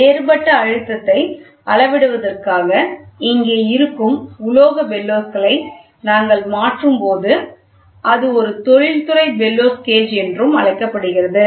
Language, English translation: Tamil, So, when we modify the metallic bellows which is here for measuring differential pressure, it is also called as industrial bellow gauges